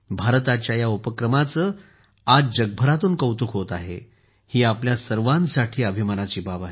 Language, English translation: Marathi, It is a matter of pride for all of us that, today, this initiative of India is getting appreciation from all over the world